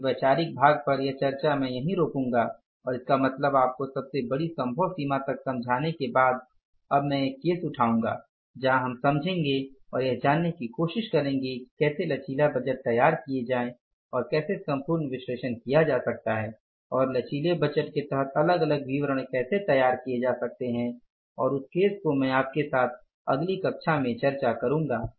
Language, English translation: Hindi, So, on this conceptual part, on the conceptual discussion, I will stop here and means after explaining it to you to the larger possible extent now I will take up one case where we will understand and try to learn how to prepare the flexible budgets and how that entire analysis can be done and how different budgeting statements under the flexible budgets can be prepared and that case I will discuss with you in the next class